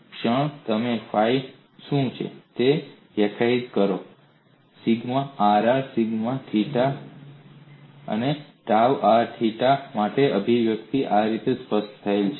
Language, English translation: Gujarati, The moment you define what is phi the expression for sigma rr sigma theta theta and tau r theta are specified like this